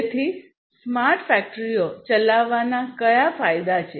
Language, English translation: Gujarati, So, what are the advantages of running smart factories